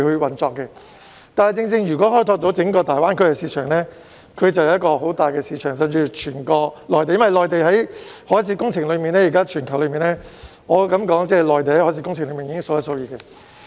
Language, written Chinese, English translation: Cantonese, 然而，如果開拓整個大灣區市場，甚至整個內地，就是一個很大的市場，因為在全球的海事工程裏，我可以說內地已經是數一數二的。, Nevertheless the entire Greater Bay Area or even the whole of the Mainland is a huge market to explore if we wish to because I can say that the Mainland is already one of the biggest markets in the world in terms of marine works